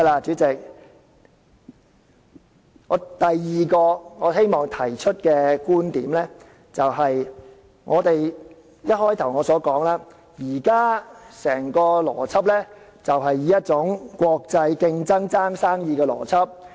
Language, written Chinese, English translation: Cantonese, 主席，第二個我希望提出的觀點就是，正如我開首時所說，現在整個邏輯是一種國際競爭，爭奪生意的邏輯。, President the second point I would like to make is that as what I have said at the beginning the entire logic here is a kind of international competition a scramble for business